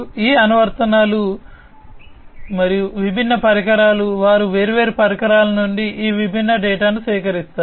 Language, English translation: Telugu, So, these apps and different devices they, they collect all these different data from the different equipments